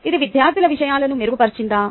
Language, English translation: Telugu, has it improved matters for the students